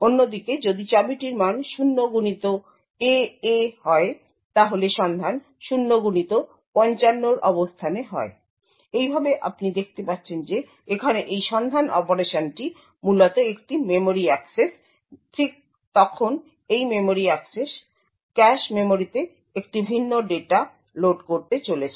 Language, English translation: Bengali, On the other hand if the key had the value 0xAA then the lookup is to a location 0x55, thus you see that this lookup operation over here is essentially a memory access, right then this memory access is going to load a different data in the cache memory